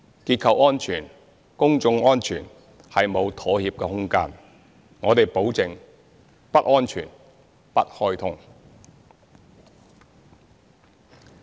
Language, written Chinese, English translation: Cantonese, 結構安全、公眾安全沒有妥協的空間，我們保證：不安全，不開通。, There is no room for compromise when it comes to structural and public safety . We guarantee that no green light will be given until safety is assured